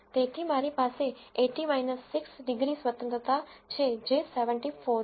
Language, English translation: Gujarati, So, I have 80 minus 6 degrees of freedom which is 74